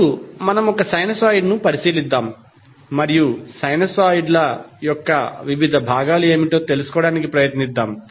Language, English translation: Telugu, Now let's consider one sinusoid and try to find out what are the various components of the sinusoids